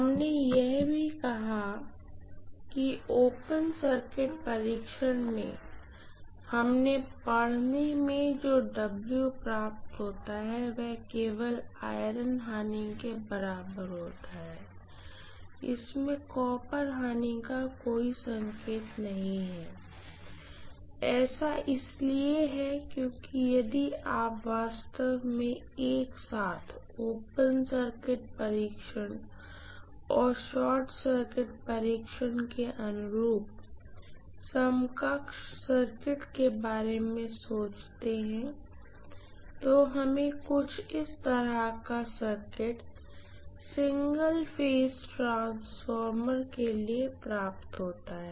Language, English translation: Hindi, We also said that in open circuit test the reading that we get as W naught is corresponding to only the iron losses, there is no indication of any copper loss in this, that is because if you actually think about the equivalent circuit corresponding to open circuit test and short circuit test together, I am going to have the equivalent circuit somewhat like this for the single phase transformer